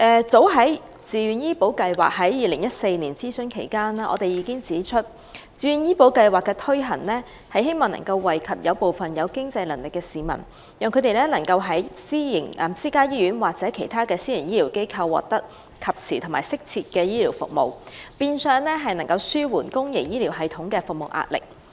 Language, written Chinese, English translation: Cantonese, 早在自願醫保計劃於2014年諮詢期間，我們已指出該計劃希望惠及有經濟能力的市民，讓他們能在私家醫院或其他私營醫療機構獲得及時適切的醫療服務，以紓緩公營醫療系統的壓力。, As early as in 2014 when a consultation exercise was conducted on VHIS we made the point that VHIS should provide a concession to people with financial means so that they could receive prompt and appropriate health care services in private hospitals or other health care institutions so as to alleviate the pressure on the public health care system